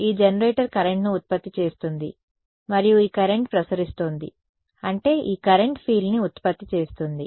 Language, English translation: Telugu, This generator is producing a current and this current is radiating I mean this current in turn produces a field ok